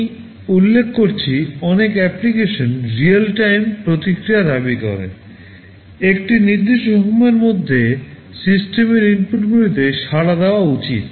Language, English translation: Bengali, I mentioned many applications demand real time response; within a specified time, the system should respond to the inputs